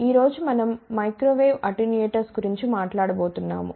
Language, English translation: Telugu, Today, we are going to talk about Microwave Attenuators